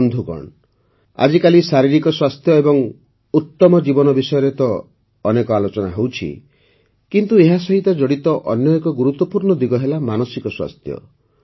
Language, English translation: Odia, Friends, today there is a lot of discussion about physical health and wellbeing, but another important aspect related to it is that of mental health